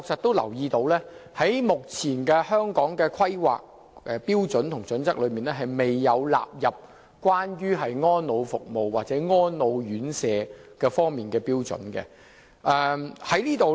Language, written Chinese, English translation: Cantonese, 第一，目前《規劃標準》確實未有納入安老服務或安老院舍方面的標準。, First the current HKPSG has not specifically set out the standard in respect of services for the elderly or residential care homes for the elderly RCHEs